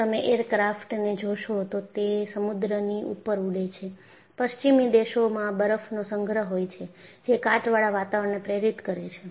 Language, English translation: Gujarati, So, if you look at an aircraft, it flies though sea, and also in western countries, you will have deposition of snow; all that induces corrosive environment